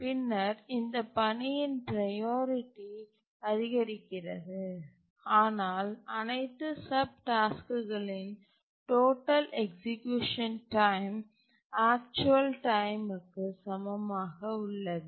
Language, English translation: Tamil, And then the priority of this task increases and but the total execution time of all the subtasks together add up to the actual time